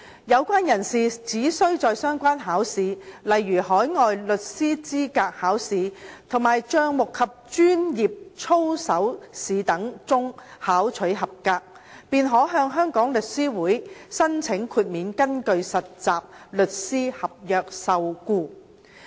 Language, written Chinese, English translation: Cantonese, 有關人士只需在相關考試，例如海外律師資格考試及帳目及專業操守試等中考取合格，便可以向香港律師會申請豁免根據實習律師合約受僱。, The persons concerned are only required to pass the relevant examinations such as the Overseas Lawyers Qualification Examination and Examination on Accounts and Professional Conduct and they may apply to Law Society for exemption from employment under a trainee solicitor contract